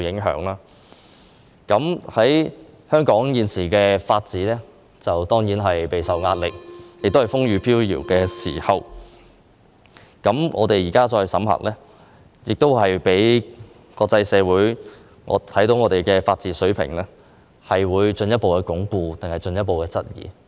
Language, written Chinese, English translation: Cantonese, 香港現時的法治備受壓力，亦處於風雨飄搖的時候，我們現在審核《條例草案》，國際社會會認為香港的法治水平是進一步鞏固，還是進一步受質疑？, Currently the rule of law in Hong Kong is under pressure and is facing a lot of challenges . When we scrutinize this Bill at this moment will the international community think that the level of rule of law in Hong Kong is further consolidated or is further questioned?